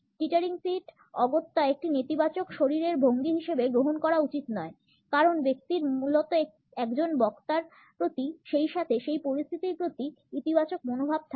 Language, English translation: Bengali, The teetering feet should not be taken up as necessarily a negative body posture because the person basically has a positive attitude towards a speaker, as well as towards a position